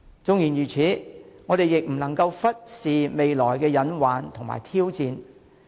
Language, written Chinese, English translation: Cantonese, 縱然如此，我們亦不能忽視未來的隱患和挑戰。, Having said that we cannot neglect the pitfalls and challenges in future